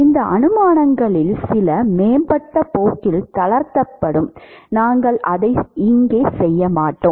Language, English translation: Tamil, In fact, some of these assumptions would be relaxed in the advanced course we will not do that here